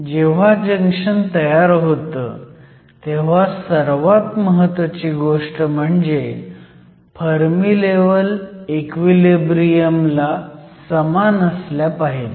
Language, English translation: Marathi, So, the most important rule, when a junction is formed is that, the Fermi levels must line up at equilibrium